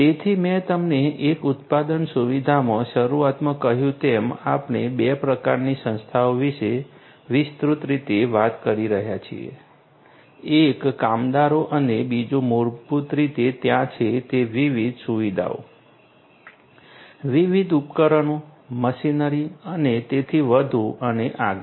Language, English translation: Gujarati, So, as I told you at the outset in a manufacturing facility we are talking broadly about two types of entities, one is the workers and second is basically the different you know the different facilities that are there, the different devices the machinery and so on and so forth